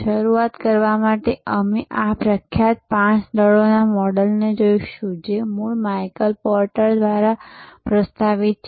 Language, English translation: Gujarati, To start with we will look at this famous five forces model, originally proposed by Michael porter